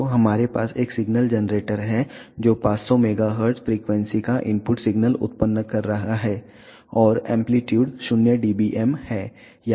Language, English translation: Hindi, So, we have a signal generator which is generating a input signal of 500 megahertz frequency and the amplitude is 0 dBm